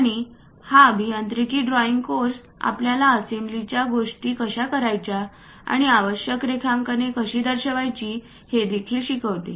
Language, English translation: Marathi, And our engineering drawing course teach you how to do this assembly things and also how to represent basic drawings